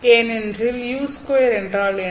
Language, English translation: Tamil, Because what is U square